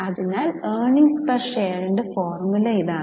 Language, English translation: Malayalam, So, the formula for earning per share is p